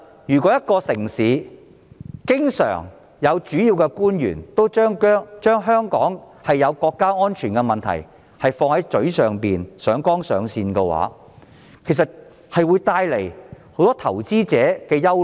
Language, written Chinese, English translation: Cantonese, 如果一個城市經常有主要官員把香港存在國家安全問題掛在嘴邊，上綱上線的話，便會令投資者感到憂慮。, If the major officials of a city often talk about national security issues and raise it to a higher plane investors will become worried